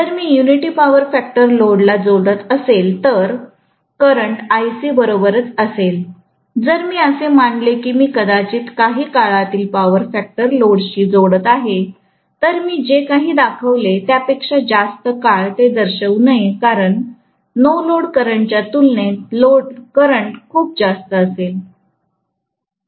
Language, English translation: Marathi, If I am connecting a unity power factor load, the current will be along Ic itself, if I am assuming that I am probably connecting some kind of lagging power factor load, I should in fact show it much longer than what I have shown because the load current will be very very high as compared to the no load current